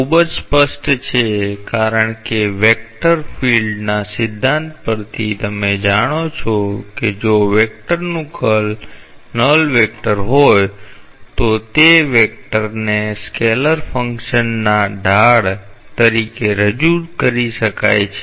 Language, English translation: Gujarati, This is very much obvious because from the theory of vector fields, you know that if the curl of a vector is a null vector, then that vector may be represented as the gradient of a scalar function